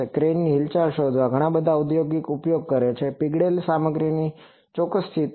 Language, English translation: Gujarati, So, various lot also lot of industrial uses to find out the crane movement, exact position of the molten stuff